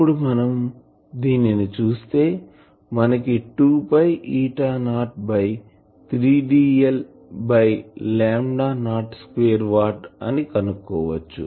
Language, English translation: Telugu, I can find that this will be 2 pi eta not by 3 d l by lambda not square watt